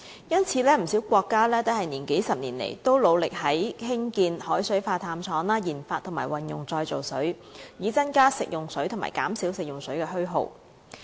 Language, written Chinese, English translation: Cantonese, 因此，不少國家在數十年來，一直努力興建海水化淡廠、研發及運用再造水，以增加食用水及減少食用水的虛耗。, Hence many countries have been making an effort over the decades to build desalination plants carry out researches and development and make use of recycled water in order to increase fresh water supply and reduce wastage in fresh water